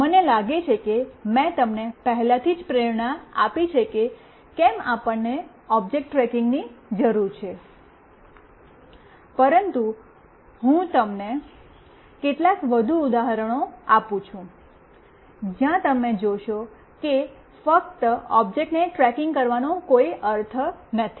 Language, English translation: Gujarati, I think I have already motivated you like why do we need object tracking, but let me give you some more examples, where you will see that just tracking the object may not make sense